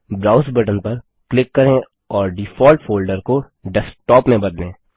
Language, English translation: Hindi, Click the Browse button and change the default folder to Desktop